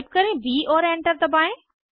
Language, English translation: Hindi, Type b and press Enter